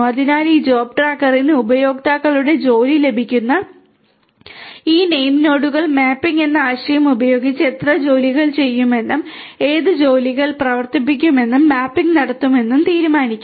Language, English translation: Malayalam, So, these name nodes these job tracker will receive the users job will decide on how many tasks will run using, the concept of mapping and how many jobs and which jobs are going to run that mapping is going to be done and it is going to also decide on where to run in each of these different jobs